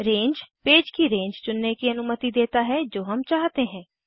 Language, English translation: Hindi, Range allows us to select the range of pages that we want to print